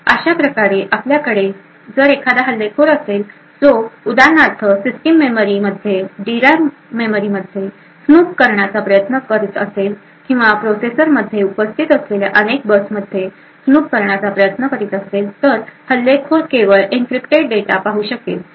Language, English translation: Marathi, So this way if we have an attacker who is trying to snoop into the system memory the D RAM memory for instance or try to snoop into the various buses present in the processor then the attacker would only be able to view the encrypted data so this ensures confidentiality of the enclave region as well as integrity of the data